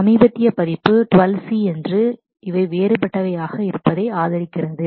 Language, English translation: Tamil, The latest version is 12 C and these are the different supports that it has